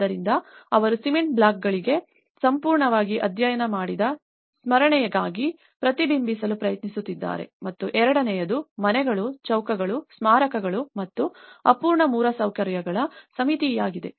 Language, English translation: Kannada, So, they are trying to reflect as a memory which is a completely studied for cement blocks and the second, is a symmetry of houses, squares, monuments and unfinished infrastructure